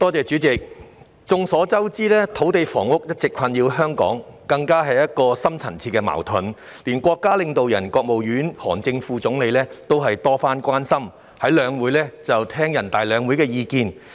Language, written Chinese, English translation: Cantonese, 主席，眾所周知，土地及房屋問題一直困擾香港，更是深層次矛盾，連國家領導人之一的國務院副總理韓正亦曾就此多番表達關注，並在全國兩會期間聆聽意見。, President as everybody knows the land and housing problem has been plaguing Hong Kong all along and it has even turned into a deep - seated conflict . Even a leader of the country Vice Premier of the State Council HAN Zheng has expressed concern about this problem on numerous occasions and he also received views during the Two Sessions of the country